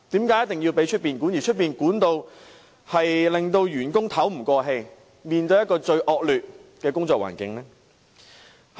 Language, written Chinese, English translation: Cantonese, 再者，外面的管理令有關員工透不過氣，須面對最惡劣的工作環境。, Furthermore such management has made the relevant employees feel suffocated by the need to face the most terrible working conditions